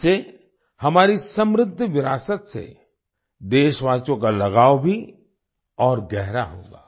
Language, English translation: Hindi, This will further deepen the attachment of the countrymen with our rich heritage